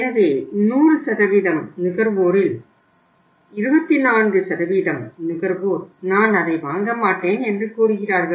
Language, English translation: Tamil, So it means out of the 100% consumers, 24% of the consumer say that either I will not buy it